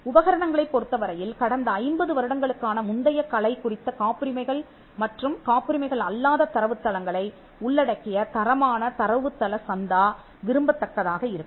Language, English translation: Tamil, With regard to equipment decent prior art database subscription to cover patent and non patent databases for the last 50 years would be preferable